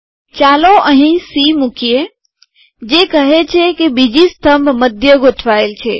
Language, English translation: Gujarati, Lets put a c here, to say that the second column should be center aligned